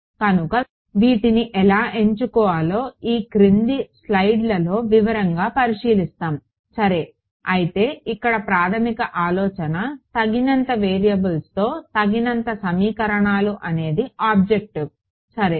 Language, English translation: Telugu, So, how to choose these w ms we will look at in detail in the following slides ok, but if the basic idea here is enough equations in enough variables that is the objective ok